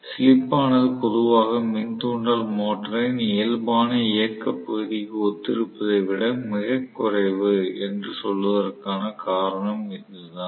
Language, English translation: Tamil, So, that is the reason why we say slip is generally normally very much less than one corresponds to the normal operating region of the induction motor